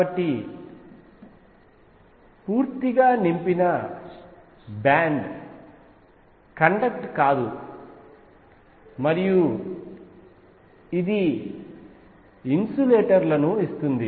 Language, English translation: Telugu, So, a filled band does not conduct and this gives insulators